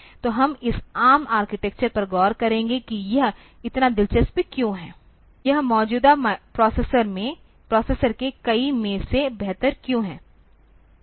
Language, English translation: Hindi, So, we will look into this ARM architecture why is it so interesting, why is it maybe better than many of the existing processors